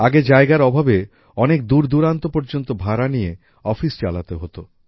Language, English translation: Bengali, Earlier, due to lack of space, offices had to be maintained on rent at far off places